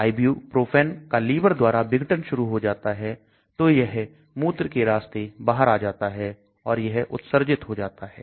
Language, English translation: Hindi, The liver starts degrading the ibuprofen and so it may come out through urine again it is excreted